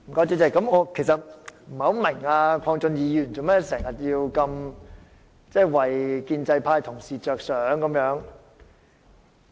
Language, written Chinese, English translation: Cantonese, 主席，我不明白鄺俊宇議員為何總是替建制派同事着想。, President I do not understand why Mr KWONG Chun - yu has been so considerate of pro - establishment colleagues